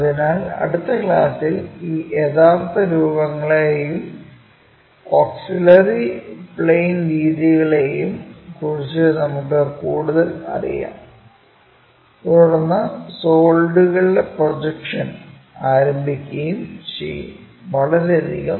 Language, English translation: Malayalam, So, in the next class, we will learn more about these true shapes and auxiliary planes and then, begin with projection of solids